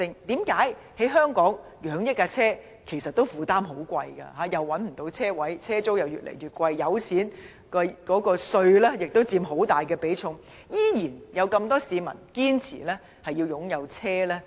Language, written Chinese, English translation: Cantonese, 為何在香港供養一輛汽車負擔不少，車位難找，車租越來越貴，還有油錢和稅項亦佔開支很大比重，仍然有那麼多市民堅持擁有汽車？, Why do many people still insist on owning a vehicle despite the high costs involved in keeping a car the difficulties in finding parking space the rising rent of parking space as well as the fuel price and tax which have taken up a large share of their total expenditure?